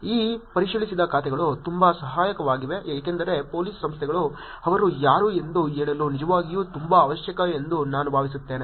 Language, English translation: Kannada, These verified accounts are very helpful because I think for Police Organizations to say that who they are is actually very, very necessary